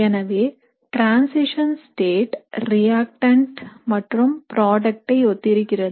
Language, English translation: Tamil, So the transition state will be very similar to that of the reactant or the product